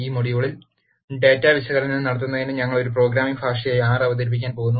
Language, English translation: Malayalam, In this module, we are going to introduce R as a programming language to perform data analysis